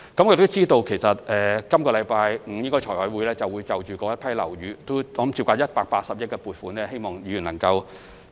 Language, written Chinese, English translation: Cantonese, 我們知道，財務委員會將於本周五審議涉及該批樓宇的180億元撥款申請，希望議員能夠支持。, As we know a funding application of 18 billion for works involving those buildings will be scrutinized by the Finance Committee this Friday . I hope Members will give their support to it